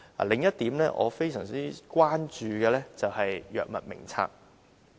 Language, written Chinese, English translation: Cantonese, 另一點我非常關注的是《藥物名冊》。, The Drug Formulary is one of my grave concerns too